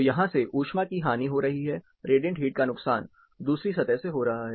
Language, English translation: Hindi, So, you have heat losses happening, radiant heat losses happening to the other surface